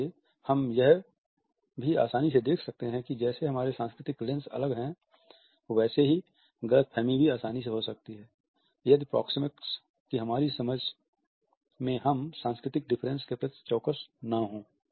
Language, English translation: Hindi, ”’ So, we can also see very easily that as our cultural lenses are different misconceptions can also easily occur, if we are not attentive to the cultural differences in our understanding of proxemics